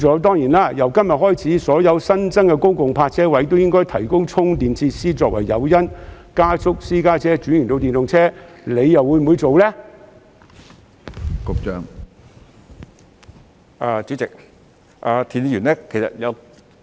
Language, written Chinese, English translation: Cantonese, 當然，由今天開始，所有新增的公共泊車位亦應提供充電設施，作為加速私家車車主轉用電動車的誘因，局長會否落實呢？, Certainly from this day on all new public parking spaces should also be provided with charging facilities to serve as incentive for private car owners to switch to EVs at a faster pace . Will the Secretary implement this measure?